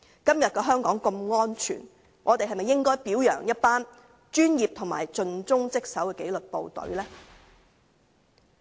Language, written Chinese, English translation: Cantonese, 今天的香港如此安全，我們是否應表揚一群專業和盡忠職守的紀律部隊呢？, As Hong Kong is such a safe place today should we not commend a group of professional and dedicated disciplined forces?